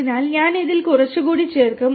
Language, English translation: Malayalam, So, I will add a little more onto this